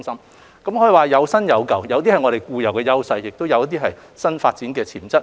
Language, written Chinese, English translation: Cantonese, 內容可以說是"有新有舊"，有些是我們固有的優勢，有些則是新發展的潛質。, The contents cover both old and new initiatives some of which will give play to our inherent strengths while others may serve to induce our potential for new development